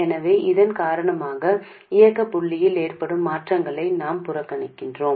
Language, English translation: Tamil, So we ignore the changes in operating point because of this